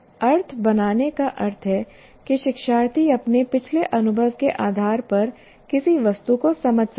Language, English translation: Hindi, Making sense means the learner can understand an item on the basis of his past experience